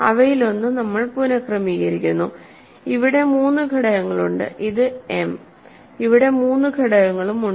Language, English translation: Malayalam, So, we reorder one of them then there are three factors here that is m and there are also three factors here